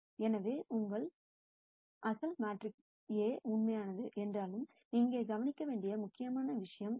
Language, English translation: Tamil, So, this is an important point to note here though your original matrix A is real